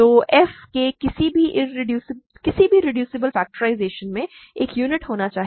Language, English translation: Hindi, So, any reducible factorization of f must contain a unit